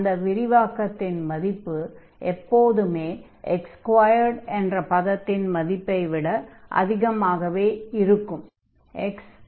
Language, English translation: Tamil, And this will be greater than always greater than x square term